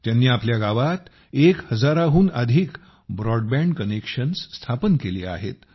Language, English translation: Marathi, He has established more than one thousand broadband connections in his village